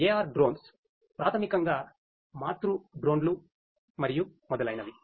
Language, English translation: Telugu, AR Drones basically the parent drones and so on